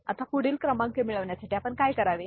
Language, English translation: Marathi, Now, to get next 4 numbers what we shall we do